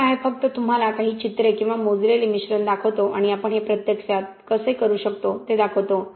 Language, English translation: Marathi, Ok, just show you some pictures or scaled up mixtures and show you how we can actually do this